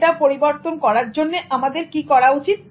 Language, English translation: Bengali, To change it, what should we do